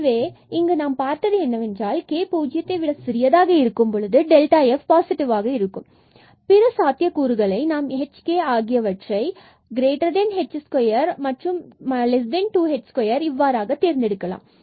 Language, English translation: Tamil, So, here we have seen that for k less than 0 delta f is positive and in the other possibilities, we will choose our h and k such that; the k is bigger than h square and less than 2 h square